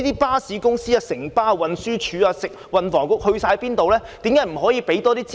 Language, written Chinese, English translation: Cantonese, 巴士公司、運輸署、運輸及房屋局到哪裏去了？, Where were they―the bus companies the Transport Department TD and the Transport and Housing Bureau?